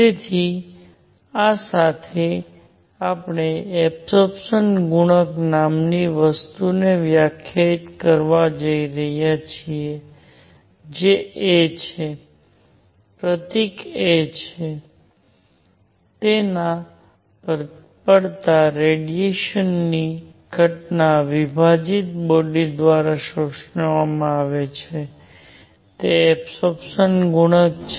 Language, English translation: Gujarati, So with this, we are going to define something called the absorption coefficient which is a; symbol is a, which is radiation absorbed by a body divided by radiation incident on it; that is the absorption coefficient